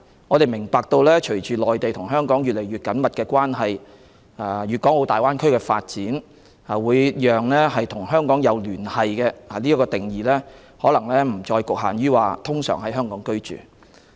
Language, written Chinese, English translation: Cantonese, 我們明白隨着香港和內地的關係越趨緊密及粵港澳大灣區的發展，會使"有與香港保持聯繫"的定義不再局限於"通常在香港居住"。, We understand that with the increasingly close relationship between Hong Kong and the Mainland and the development of the Guangdong - Hong Kong - Macao Greater Bay Area the definition of maintaining connections with Hong Kong is no longer limited to ordinarily resides in Hong Kong